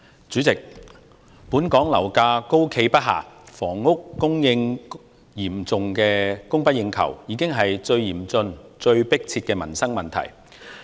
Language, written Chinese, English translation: Cantonese, 主席，本港樓價高企不下，房屋嚴重供不應求，這已成為最嚴峻、最迫切的民生問題。, President property prices in Hong Kong have remained high and the supply of housing cannot meet the demand . This has become the direst and most pressing problem in peoples livelihood